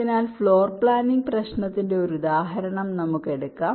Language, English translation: Malayalam, ok, so let's take one example: floor planning problem